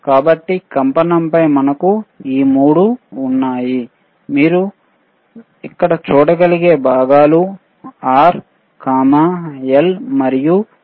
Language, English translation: Telugu, So, on vibration we have these 3 components R, L and C that you can see right over here,